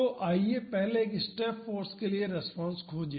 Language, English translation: Hindi, So, first let us find the response due to a step force